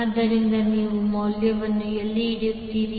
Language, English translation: Kannada, So, where you will put the value